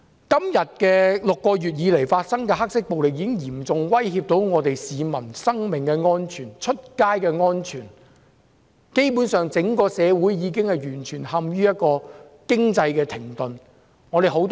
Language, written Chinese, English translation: Cantonese, 這6個月以來發生的黑色暴力已經嚴重威脅市民的生命安全和外出時的安全，整個社會基本上已完全陷於經濟停頓。, The black violence that occurred in the past six months has seriously threatened the personal safety of the public when they go out . Our society has basically plunged into a period of economic stagnation